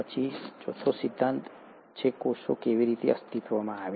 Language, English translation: Gujarati, Then the fourth theory is, ‘how did cells come into existence’